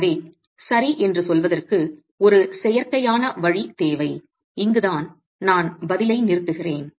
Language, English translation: Tamil, So we need an artificial way of saying, okay, this is where I stop the response